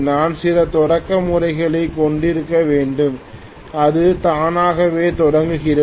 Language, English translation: Tamil, We need to have some starting methods so that it starts on its own